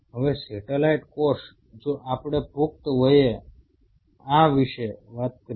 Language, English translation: Gujarati, Now the satellites cell if we talk about this as an adult